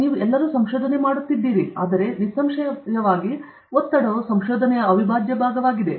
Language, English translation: Kannada, All of you are doing research; so, obviously, stress is an integral part of research